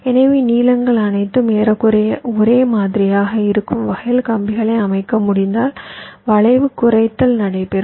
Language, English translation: Tamil, so if you can layout the wires in such a way that the lengths are all approximately the same, then skew minimization will take place